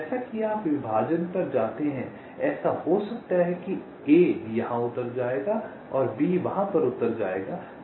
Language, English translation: Hindi, so as you go on partitioning, it may so happen that a will land up here and b will land up there